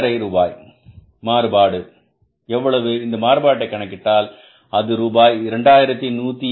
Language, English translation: Tamil, If you calculate this variance, this variance works out as rupees 2187